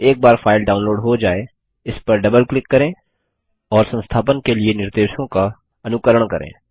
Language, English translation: Hindi, Once the file is downloaded, double click on it and follow the instructions to install